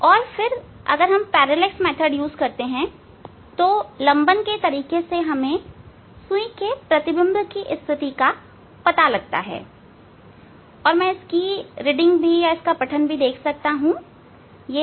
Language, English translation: Hindi, And then by parallax method, we found the position of the image needle and its reading is I can see 54